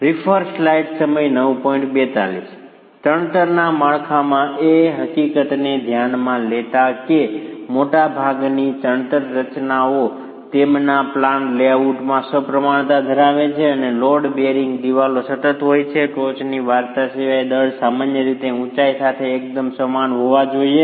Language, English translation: Gujarati, In a masonry structure, considering the fact that most masonry structures are rather symmetrical in their plan layouts and load bearing walls are continuous, the mass should typically be quite similar along the height except for the topmost story